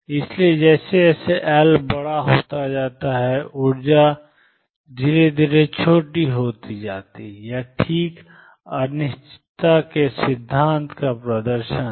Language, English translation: Hindi, So, as L becomes larger the energy becomes smaller, this is precisely a demonstration of uncertainty principle